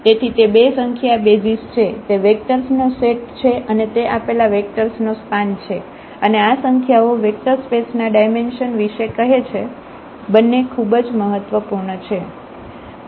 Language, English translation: Gujarati, So, these two numbers are the basis that is the set of the vectors and that is that is span the given vector space and this number here which is which tells about the dimension of the vector space both are very important